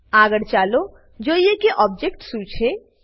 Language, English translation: Gujarati, Next, let us look at what an object is